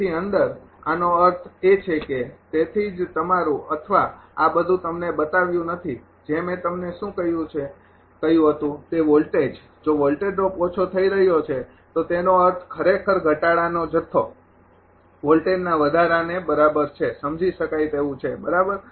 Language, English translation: Gujarati, So, in; that means, that is why your or not shown all this things is what I told you that voltage ah if voltage drop is getting reduced means the amount of reduction actually equivalent to the voltage raised right understandable